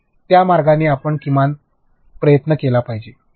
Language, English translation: Marathi, So, that way you should at least try